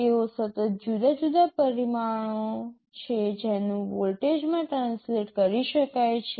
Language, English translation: Gujarati, They are continuously varying parameters that can be translated to voltages